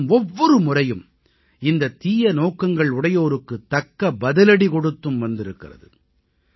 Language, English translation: Tamil, The country too has given a befitting reply to these illintentions every time